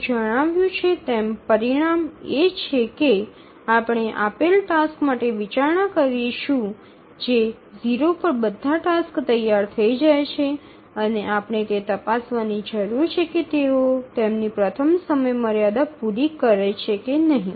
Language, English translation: Gujarati, So, the result as it is stated is that we consider for a given task set all tasks become ready at time zero and we just need to check whether they meet their fast deadlines